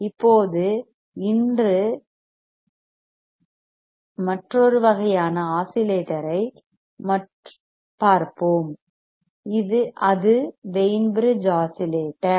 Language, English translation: Tamil, Now, today let us see let us see another kind of oscillator another kind of oscillator and that is called Wein bridge oscillator Wein bridge oscillator